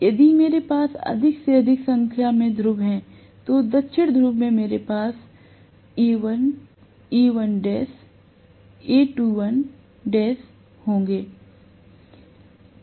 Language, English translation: Hindi, If I have more and more number of poles, correspondingly for the South Pole I will have A dash, A1 dash, A2 dash and so on and so forth